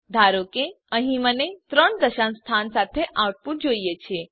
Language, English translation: Gujarati, Suppose here I want an output with three decimal places